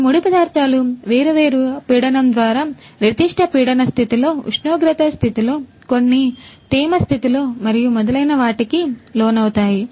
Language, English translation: Telugu, These raw materials are going to be subjected through different pressure, under certain pressure condition, temperature condition, in certain humidity condition and so on